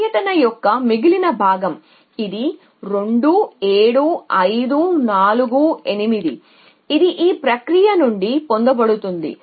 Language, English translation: Telugu, The remaining part of the 2 which is 2 7 5 4 8 it is got from this process